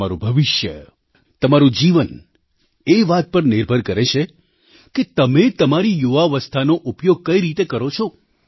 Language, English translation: Gujarati, Your life & future entirely depends on the way your utilized your youth